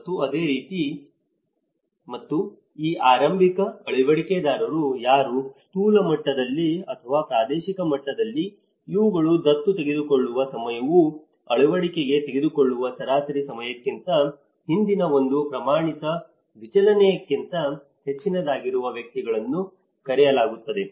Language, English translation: Kannada, And similarly, and who are these early adopters; these at a macro level or regional level these are the individuals whose time of adoption was greater than one standard deviation earlier than the average time of adoption